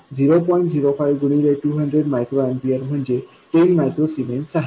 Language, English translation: Marathi, 05 times 200 microamper is 10 micro zemans